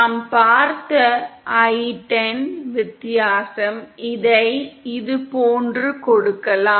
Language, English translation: Tamil, And i10, which we saw, is the difference; this can be given as, like this